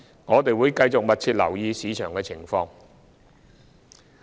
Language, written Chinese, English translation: Cantonese, 我們會繼續密切留意市場情況。, We will continue to monitor the market situation